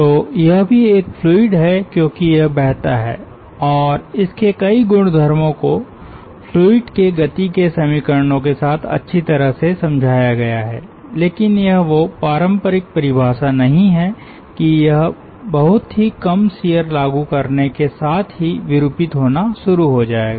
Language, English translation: Hindi, so this, that is also a fluid, because it flows and, ah, its many of its characteristics are explained nicely with the equations of motion of fluids, but it is not that classical definition, that it will start deforming with infinitesimal shear